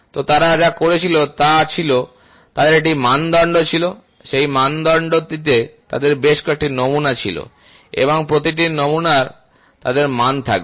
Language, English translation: Bengali, So, what they did was, they had they had a standard, so in that standard they had several samples and each sample they will have values